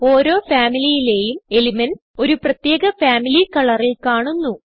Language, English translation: Malayalam, Each Family of elements appear in a specific Family color